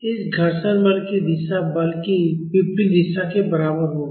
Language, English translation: Hindi, The direction of this frictional force will be equal to the opposite direction of the force